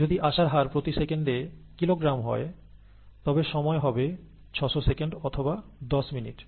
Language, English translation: Bengali, If the input rate is twenty kilogram per second, the time taken would be six hundred seconds or ten minutes